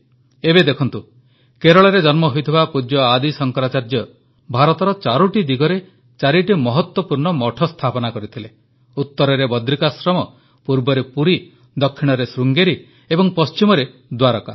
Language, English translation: Odia, Now, for example His Holiness Adi Shankaracharya was born in Kerala and established four important mathas in all four directions of India… Badrikashram in the North, Puri in the East, Sringeri in the South and Dwarka in the West